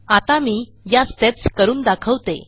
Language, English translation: Marathi, I will now demonstrate these steps